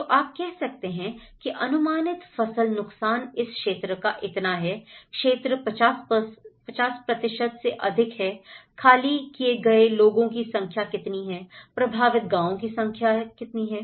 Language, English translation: Hindi, So, you can say that estimated crop loss this much, area more than 50%, number of people evacuated, number of villages affected